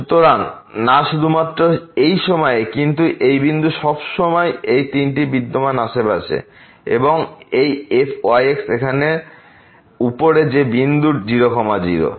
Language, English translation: Bengali, So, not only at this point, but also in the neighborhood of this point all these 3 exist and this on the top here is also continuous at that point 0 0